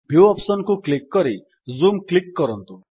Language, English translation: Odia, Click on the Viewoption in the menu bar and then click on Zoom